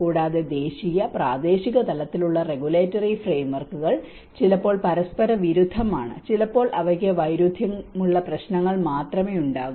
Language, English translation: Malayalam, Also, the national and regional and local level regulatory frameworks sometimes they contradict with each other, sometimes they only have conflicting issues